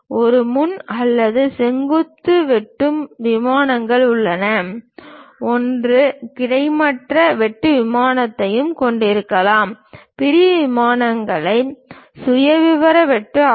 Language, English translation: Tamil, There are frontal or vertical cutting plane; one can have horizontal cut plane also, sectional planes are profile cut one can have